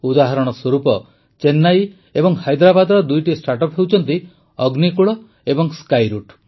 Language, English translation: Odia, For example, Chennai and Hyderabad have two startups Agnikul and Skyroot